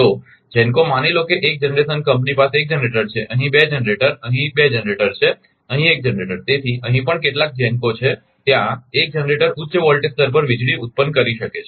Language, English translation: Gujarati, So, GENCO suppose 1 generation company has 1 generator here a 2 generator here 2 generator here 1 generator so, on here also some GENCO is there is 1 generator may be producing power at high high high voltage level